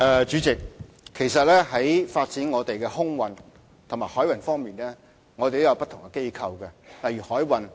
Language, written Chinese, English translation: Cantonese, 主席，在發展香港的空運和海運方面，我們有不同的機構負責。, President in Hong Kong there are different organizations responsible for the development of freight transport and maritime transport of Hong Kong